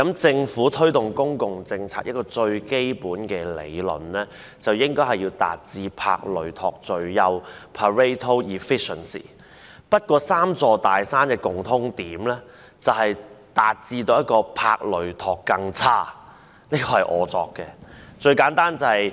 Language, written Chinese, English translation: Cantonese, 政府推動公共政策，最基本的理論是應該要達致帕累托最優，不過，"三座大山"的共通點則是達致"帕累托更差"——這是我胡謅出來的。, When the Government rolls out any public policies the most fundamental theory is that Pareto optimality should be achieved . Yet what the three big mountains share in common is Pareto worse - off―I made this up